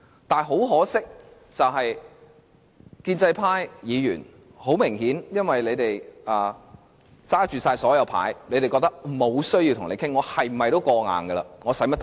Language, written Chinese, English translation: Cantonese, 不過，可惜的是，建制派議員顯然因為他們手握大多數票，無論如何皆會通過決議案，因此認為無需討論。, Unfortunately however Members of the pro - establishment camp evidently think that there is no need for any discussion since they hold a majority of votes so no matter how the resolution will be passed